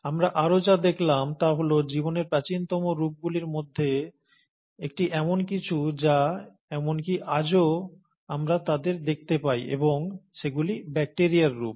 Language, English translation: Bengali, And what we also observe is one of the earliest forms of lives are something which we even see them today and those are the bacterial forms